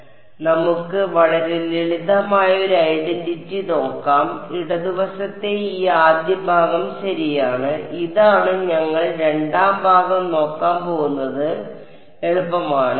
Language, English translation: Malayalam, So, let us let us look at a very simple identity this first part of the left hand side ok, this is what we are going to look at the second part is easy